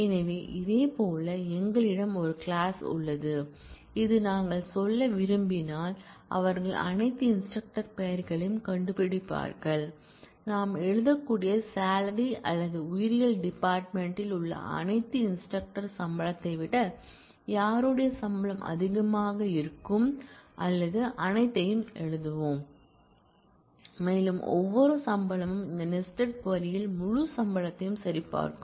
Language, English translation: Tamil, So, similarly we have an all clause which say that if we want to say, they find the names of all instructors; whose salary is greater than the salary of all instructors in the biology department in case of sum we can write or we will write all and it will check every salary will check with the whole set of salaries in this sub query